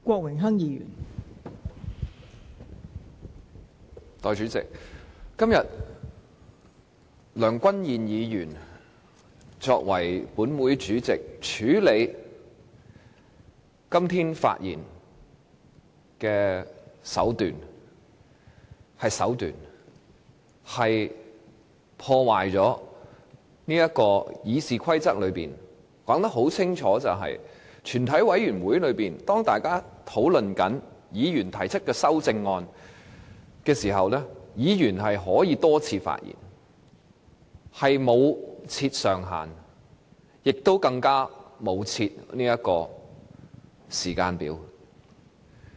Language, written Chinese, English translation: Cantonese, 代理主席，身為立法會主席，梁君彥議員今天處理全體委員會階段發言的手段——是手段——破壞了《議事規則》。《議事規則》清楚訂明，在全體委員會審議階段，當大家討論議員提出的修正案時，議員可以多次發言，不設辯論時間上限，更不設時間表。, Deputy Chairman as the President of the Legislative Council Mr Andrew LEUNGs tactic―it is a tactic―in handling the speeches at the Committee stage today has violated the Rules of Procedure which clearly stipulates that Members may speak more than once without any time limit and timeline during the amendments debate at the Committee stage